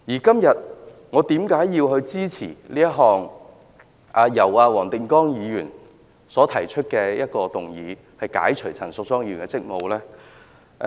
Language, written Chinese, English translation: Cantonese, 今天，我為何支持黃定光議員提出的議案，解除陳淑莊議員的立法會議員職務呢？, Why do I support the motion moved by Mr WONG Ting - kwong today to relieve Ms Tanya CHAN of her duties as a Member of the Legislative Council?